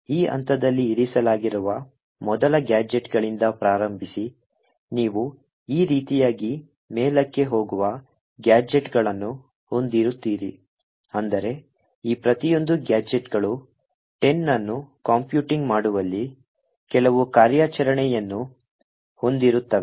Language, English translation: Kannada, So, starting from the first gadgets which is placed at this point, you would have gadgets going upwards like this, such that each of these gadgets have some operation in computing the 10 factorial